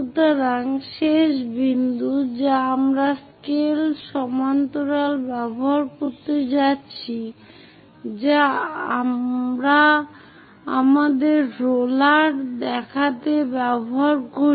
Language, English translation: Bengali, So, the last point we are going to join using a scale parallel to that we use our roller looks like